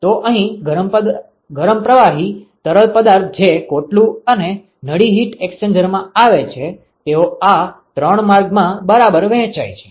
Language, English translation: Gujarati, So, here the hot fluid which comes into the shell and tube heat exchanger, they get distributed into these three channels ok